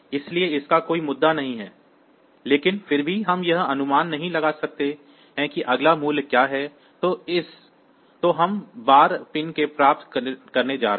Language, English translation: Hindi, So, it does not have any issue, but still since it we cannot predict like what is the next value that we are going to get from the outside pin